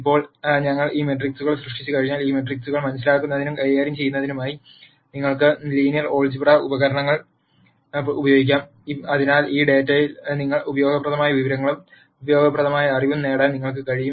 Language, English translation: Malayalam, Now, once we generate these matrices then you could use the linear algebra tools to understand and manipulate these matrices, so that you are able to derive useful information and useful knowledge from this data